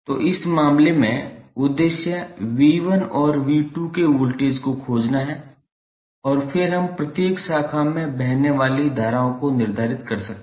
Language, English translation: Hindi, So, in this case the objective is to find the voltages of V 1 and V 2, when we get these values V 1 and V 2